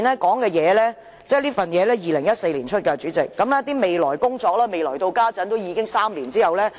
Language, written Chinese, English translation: Cantonese, 這份2014年發出的文件提到的"未來工作"，至今已過了3年，卻仍音訊全無。, Three years have passed but the proposed work to be carried out in the future as mentioned in this document issued in 2014 still remains unaccomplished